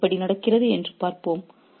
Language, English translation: Tamil, Let's see how that happens